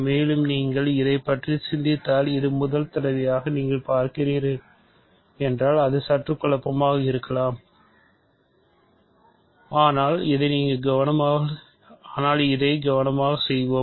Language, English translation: Tamil, And, it is somewhat confusing actually if you think about it, if you are seeing this for the first time, but let us do this carefully